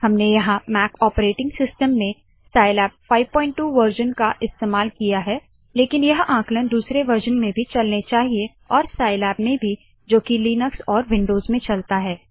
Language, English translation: Hindi, I am using scilab version 5.2 in Mac operating system , but these calculations should work in other versions and also in Scilab that runs in linux and windows